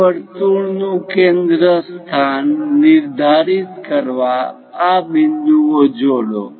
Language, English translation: Gujarati, Join these points to locate centre of that circle